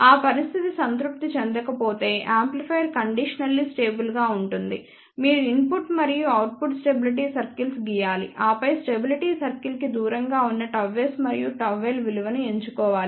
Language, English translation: Telugu, If that condition is not satisfied that means, amplifier is conditionally stable you have to draw input and output stability circles and then choose the value of gamma s and gamma l which is far away from those stability circle